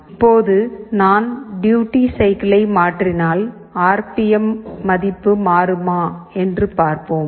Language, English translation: Tamil, Now let us see if I change the duty cycle does the RPM value changes, let me see this